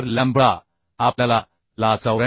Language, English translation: Marathi, 02 therefore the lambda we got 94